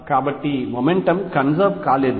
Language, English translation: Telugu, So, there is the momentum is not conserved